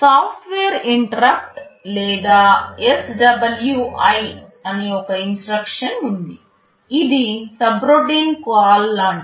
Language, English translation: Telugu, There is an instruction called software interrupt or SWI, this is like a subroutine call